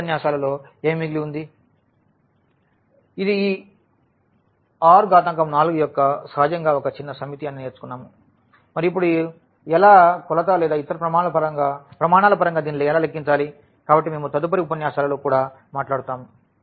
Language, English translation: Telugu, So, this is a vector space of R 4 what is left within in the following lectures we will learn that this is a smaller set naturally of this R 4 and now how to how to quantify this in terms of what in terms of kind of dimension or some other criteria; so, that we will be also talking about in following lectures